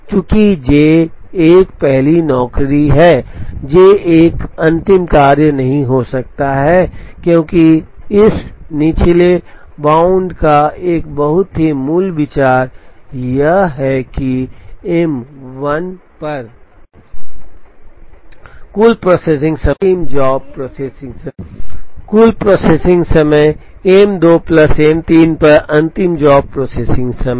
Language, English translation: Hindi, Since J 1 is the first job, J 1 cannot be the last job, because a very basic idea of this lower bound is that, the total processing time on M 1 plus the last jobs processing time on M 2 plus M 3